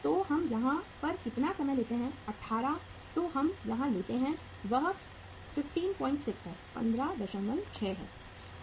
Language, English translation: Hindi, So how much is the duration here we take 18 then we take here is the that is 15